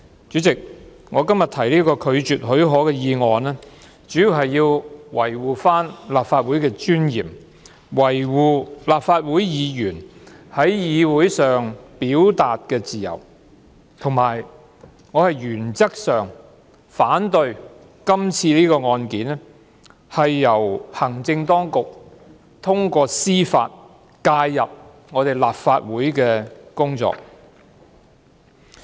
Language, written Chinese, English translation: Cantonese, 主席，我今天提出拒絕給予許可的議案，主要是維護立法會的尊嚴，維護立法會議員在議會上的表達自由，以及我是原則上反對行政當局在這宗案件，通過司法程序介入立法會的工作。, President I move the motion that the leave be refused today mainly to uphold the dignity of the Legislative Council safeguard the freedom of expression of Members of the Legislative Council in meetings and express my opposition in principle that the Administration has intervened in the work of the Legislative Council through a judicial process in this case